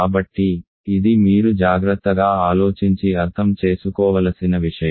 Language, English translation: Telugu, So, this is something that you have to carefully think about and understand